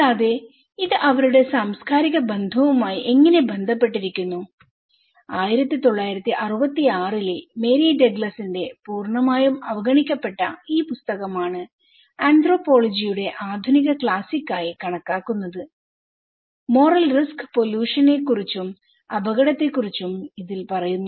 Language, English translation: Malayalam, And how, this is connected with their cultural affiliation okay, so that was the book purely endangered by Mary Douglas in 1966 considered to be a modern classic of anthropology, talking about the moral risk pollution and danger okay